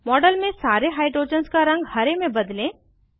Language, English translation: Hindi, Change the color of all the hydrogens in the model to Green